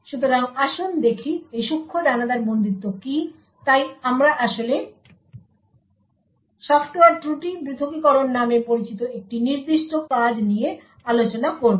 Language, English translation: Bengali, So, let us see what a Fine grained confinement is, so we will be actually discussing a particular paper known as Software Fault Isolation